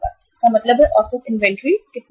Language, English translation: Hindi, It means average inventory is how much